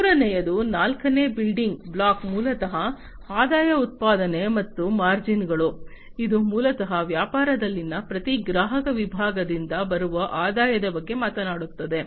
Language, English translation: Kannada, The fourth building block is basically the revenue generation and the margins, which basically talks about the revenue that is generated from each customer segment in the business